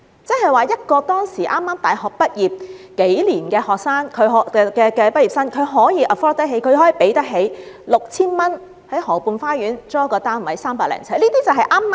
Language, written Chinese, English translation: Cantonese, 亦即是說，當時一個畢業數年的大學生可以 afford 得起花 6,000 元在河畔花園租住一個300多呎的單位。, When the rent was at the level of 6,000 a university graduate who had been working for several years could afford to rent a flat of over 300 sq ft in Garden Rivera